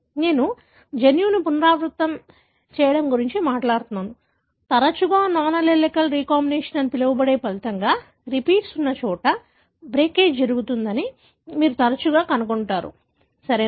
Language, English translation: Telugu, So, since I am talking about repeat flanking a gene, more often resulting in what is called as non allelic recombination, you would often find the breakage happens where the repeats are, right